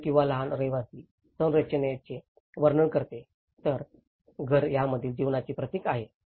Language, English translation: Marathi, The house or a small dwelling describes the structure whereas, the home is symbolic of the life spent within it